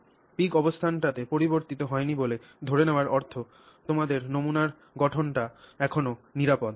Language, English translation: Bengali, Assuming the peak position has not changed, it means your sample composition is still safe, it has not changed